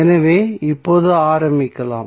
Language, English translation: Tamil, So, now let us start